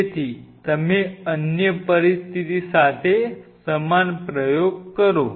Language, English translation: Gujarati, So, you do the same experiment with another situation